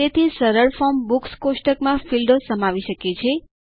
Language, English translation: Gujarati, So a simple form can consist of the fields in the Books table